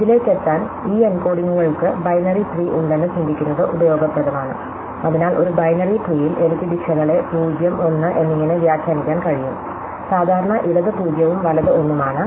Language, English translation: Malayalam, So, to get to this, it is useful to think of these encodings as binary trees, so in a binary tree I can interpret directions as 0 and 1, so typically left is 0 and right is 1